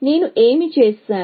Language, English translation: Telugu, What have I done